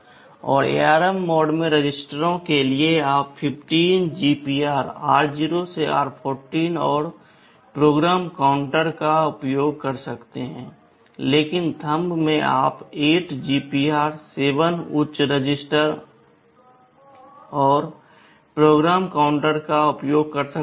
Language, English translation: Hindi, And for registers in ARM mode, you can use the 15 GPR r0 to r14 and the PC, but in Thumb you can use the 8 GPRs, 7 high registers and PC